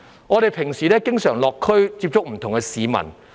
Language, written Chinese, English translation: Cantonese, 我們平日經常落區接觸不同的市民。, We often visit the community to come into contact with different people